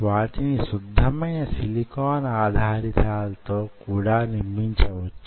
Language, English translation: Telugu, you can make them on pure silicon substrates